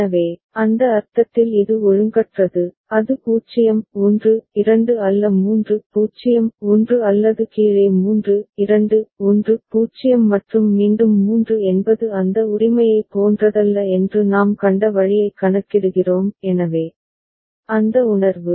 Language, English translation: Tamil, So, in that sense it is irregular, it is not 0 1 2 3 0 or the down count the way we have seen that 3 2 1 0 and again 3 is not like that right so, that sense